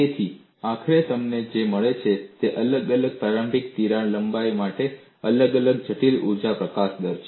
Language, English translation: Gujarati, So, what you eventually get is different critical energy release rates for different initial crack lengths